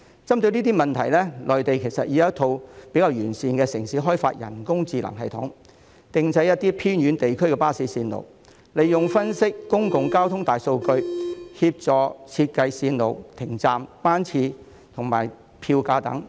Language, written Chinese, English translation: Cantonese, 針對這些問題，內地其實已有城市開發了一套比較完善的人工智能系統，編製一些偏遠地區的巴士路線，分析公共交通大數據，協助設計路線、停站、班次、票價等。, In response to these problems cities in the Mainland have actually developed a relatively complete artificial intelligence system which can compile bus routes in some remote areas by analysing public transport big data to assist in designing routes stops schedules and fares